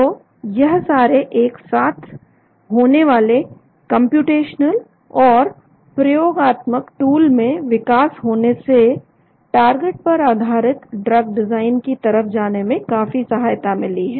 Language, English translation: Hindi, So all these simultaneous development of computational as well as experimental tools has helped quite a lot in going towards the target based drug design